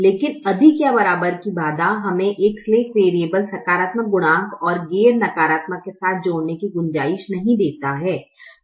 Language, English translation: Hindi, but the greater than or equal to constraint does not give us the scope to add a, a slack variable with a positive coefficient and non negative